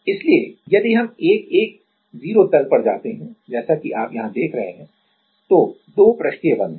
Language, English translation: Hindi, So, if we go to the 1 1 0 plane as you see here there are two surface bonds